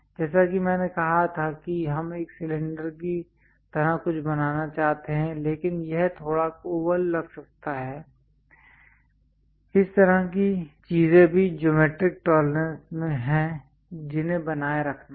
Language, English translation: Hindi, As I said we would like to draw ah we would like to prepare something like cylinder, but it might look like slightly oval, that kind of things are also geometric tolerances one has to maintain